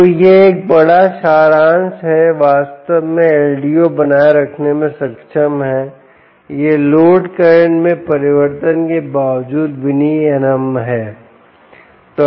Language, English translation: Hindi, so this is a big summary that indeed ldo is able to maintain its regulation in spite of the load currents changing